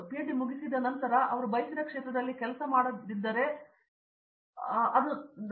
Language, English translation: Kannada, After finishing PhD if he not get job with desired field or whatever it may be according to me